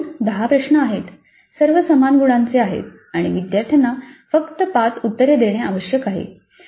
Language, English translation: Marathi, The type 1 there are 8 questions, all questions carry equal marks, students are required to answer 5 full questions